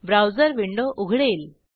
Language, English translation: Marathi, The browser window opens